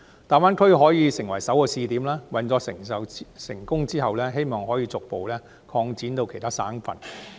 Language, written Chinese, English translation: Cantonese, 大灣區可以成為首個試點，運作成功後，可以逐步擴展到其他省份。, The Greater Bay Area can serve as the first pilot point . Following its success the proposal can be further implemented in other provinces